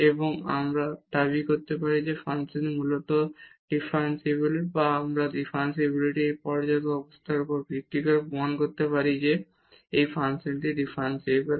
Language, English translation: Bengali, And, then we can claim that the function is basically differentiable or we can prove that this function is differentiable based on these sufficient conditions of differentiability